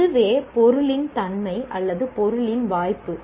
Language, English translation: Tamil, That is the very nature of the subject or scope of the subject